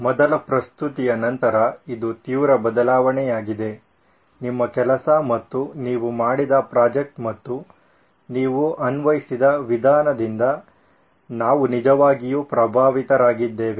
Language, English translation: Kannada, I must say after the first presentation this is a drastic change we are really impressed with your work and the project that you have done and the method that you have applied is perfect